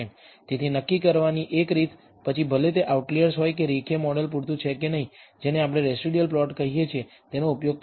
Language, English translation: Gujarati, So, one way of assessing, whether they are outliers or whether linear model is adequate or not is using what we call residual plots